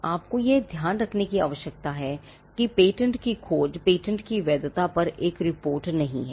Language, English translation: Hindi, So, you need to bear in mind that a patentability search is not a report on the validity of a patent